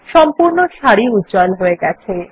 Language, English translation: Bengali, The entire row gets highlighted